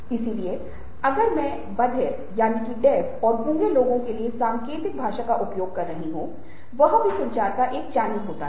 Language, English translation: Hindi, so if i am using sign language for deaf and dumb people, ok, that also happens to be a channel of communication